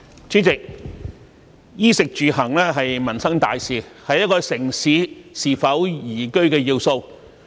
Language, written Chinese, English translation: Cantonese, 主席，"衣、食、住、行"是民生大事，是一個城市是否宜居的要素。, President clothing food housing and transport are livelihood issues of great importance and major factors for whether or not a city is liveable